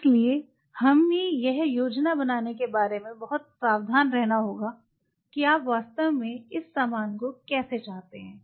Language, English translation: Hindi, So, we have to very careful about planning of how really you want this stuff to be